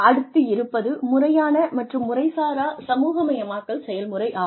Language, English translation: Tamil, Formal versus informal socialization process